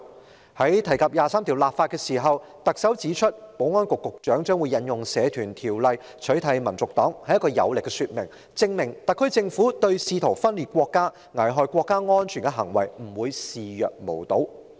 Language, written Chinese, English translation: Cantonese, 在提及就《基本法》第二十三條立法時，特首指出保安局局長引用《社團條例》取締香港民族黨是一項有力說明，證明特區政府對試圖分裂國家、危害國家安全的行為，不會視若無睹。, In mentioning the enactment of legislation for Article 23 of the Basic Law the Chief Executive points out that the Secretary for Securitys application of the Societies Ordinance bears strong testimony to the SAR Government not turning a blind eye to acts attempting to secede from the country and endangering national security